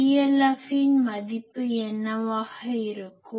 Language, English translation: Tamil, So, what will be the value of PLF